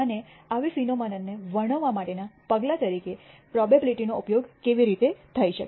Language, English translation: Gujarati, And how probability can be used as a measure for describing such phenomena